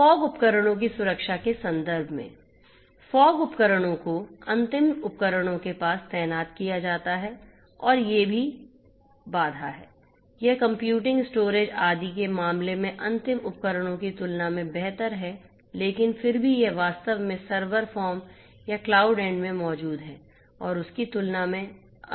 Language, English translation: Hindi, So, in terms of protection of the fog devices; fog devices are deployed near to the end devices and are also you know these are also constrained you know it is better than better than the end devices in terms of computing storage etcetera, but still it is more constraint than what actually exists at the server form or the cloud end